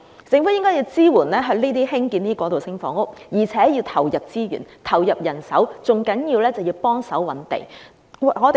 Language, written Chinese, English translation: Cantonese, 政府應支援興建過渡性房屋，而且要投入資源和人手，最重要的是協助覓地。, The Government should support the construction of transitional housing and allocate resources and manpower to this end . The most important thing is to help identify land